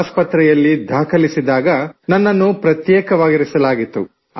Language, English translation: Kannada, When I was admitted to the hospital, they kept me in a quarantine